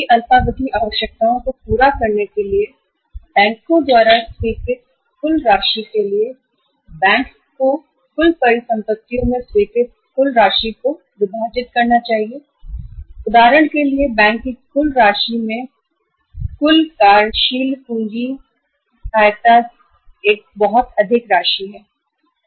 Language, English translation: Hindi, The total amount sanctioned by the banks for fulfilling the short term requirements of the of the manufacturers, bank is supposed to divide that total amount sanctioned into the different assets that this much amount out of the for example bank sanctions the say total working capital help or assistance